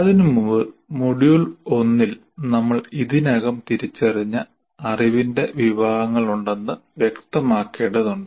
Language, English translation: Malayalam, Before that, we need to be clear that there are categories of knowledge that we have already identified in module one